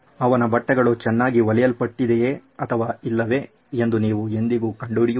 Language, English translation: Kannada, You probably never find out if his clothes have stitched well or not